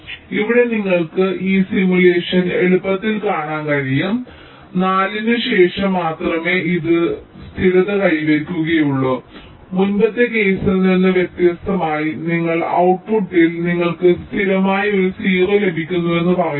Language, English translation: Malayalam, ok, so here you can easily see, this simulation will tell you that only after four it is getting stabilized, unlike the earlier case where you are saying that in output you are getting a constant zero